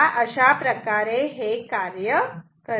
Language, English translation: Marathi, This is how it works